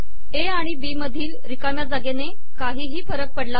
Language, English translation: Marathi, The space between A and B does not matter